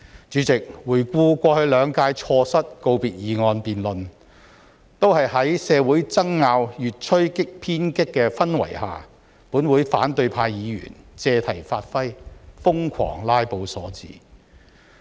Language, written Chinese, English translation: Cantonese, 主席，回顧過去兩屆立法會錯失告別議案辯論，都是在社會爭拗越趨偏激的氛圍下，本會反對派議員借題發揮、瘋狂"拉布"所致。, Looking back President the Council has missed the chances of conducting valedictory motion debates in the past two terms all because of in the prevailing atmosphere of increasingly extreme social controversies the lunatic acts of filibustering by Members belonging to the opposition camp